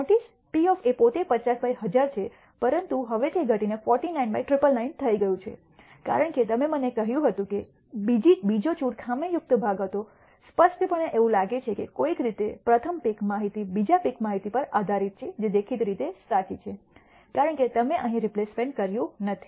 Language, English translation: Gujarati, Notice probability of A itself is 50 by 1,000, but it has now reduced to 49 by 999, because you told me that the second pick was a defective part clearly it seems to be that somehow the first pick information is dependent on the second pick information which is obviously true because you have not done a replacement here